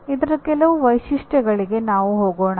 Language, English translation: Kannada, Let us move on to some features of this